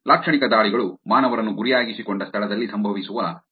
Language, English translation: Kannada, Semantic attacks are attacks that happens where humans are targeted